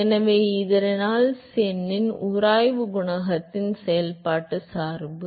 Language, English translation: Tamil, So, that is the functional dependence of the friction coefficient on the Reynolds number